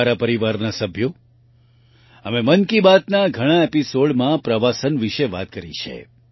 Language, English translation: Gujarati, My family members, we have talked about tourism in many episodes of 'Mann Ki Baat'